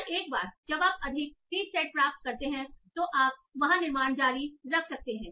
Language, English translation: Hindi, And once you get more seeds sets, you can continue building over that